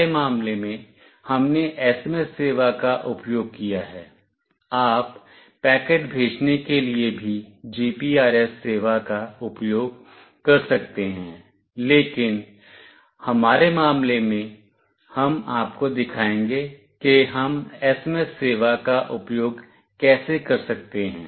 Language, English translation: Hindi, In our case, we have used SMS service; you can also use GPRS service for sending packet as well, but in our case we will show you how we can use SMS service